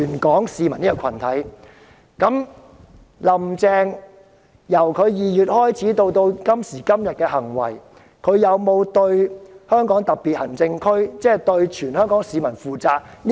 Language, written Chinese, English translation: Cantonese, 觀乎"林鄭"由今年2月至今的行為，她有沒有對香港特別行政區，即全香港市民負責？, Telling from Carrie LAMs conduct since February this year has she been accountable to the Hong Kong SAR ie . all the people of Hong Kong?